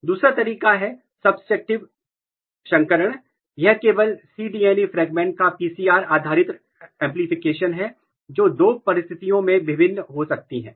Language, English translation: Hindi, Another way of doing was the subtractive hybridization, this was PCR based amplification of only cDNA fragment that differs between two conditions